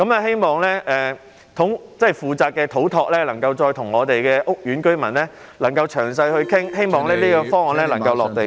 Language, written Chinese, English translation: Cantonese, 希望負責的土木工程拓展署能夠再與屋苑居民詳細討論，希望這個方案能夠"落地"。, I hope that the Civil Engineering and Development Department which is responsible for the matter will further discuss with the residents of the housing estate in detail . I hope this proposal can be put into practice